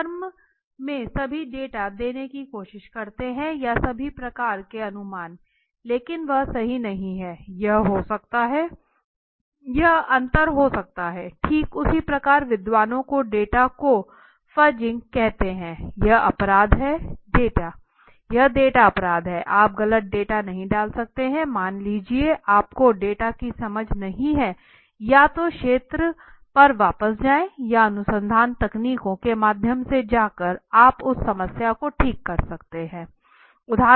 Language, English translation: Hindi, In a firm they try to give all data or all kind of inferences which are which would be liked right but that is not correct that might not be correct but it can be it may be liked so that is a difference right, similarly I have seen scholars even fudging the data so data fudging is a crime data fudging is a crime so you should not be putting in the wrong data suppose you do not have an understanding of the data either go back to the field or there are research techniques through which you can correct that problem right